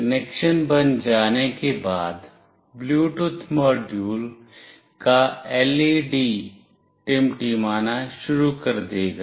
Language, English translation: Hindi, Once the connection is made, the LED of the Bluetooth module will start blinking